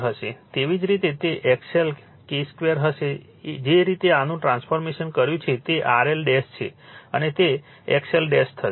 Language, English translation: Gujarati, Similarly, it will be X L into K square the way you have transformed this, that is you R L dash and that will your X L dash